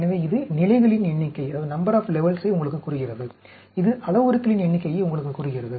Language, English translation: Tamil, So, this tells you the number of levels; this tells you the number of parameters